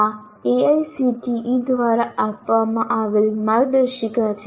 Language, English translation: Gujarati, So, these are the guidelines that AICTE provides